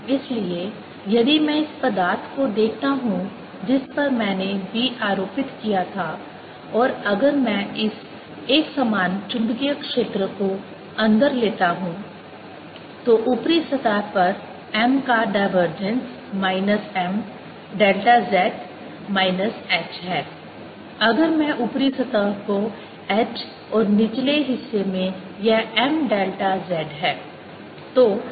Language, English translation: Hindi, so if i look at this material i had applied b, and if i take this uniform magnetic field inside, then the divergence of m at the upper surface is minus m delta z, minus h